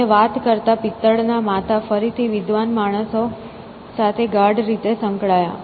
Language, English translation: Gujarati, And, talking brass heads became closely associated with learned man again